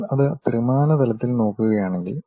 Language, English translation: Malayalam, If you are looking that in 3 dimensions